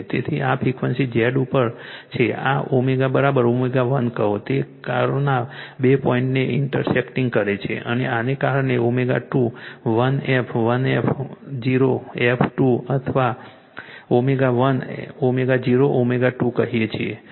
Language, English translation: Gujarati, So, this is at frequency Z this is your omega is equal to say omega 1 it is intersecting two point of this curve and this is your what we call omega 21 f 1 f 0 f 2 or omega 1 omega 0 omega 2